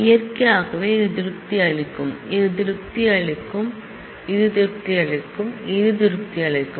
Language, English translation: Tamil, Naturally, this will satisfy, this will satisfy, this will satisfy, this will satisfy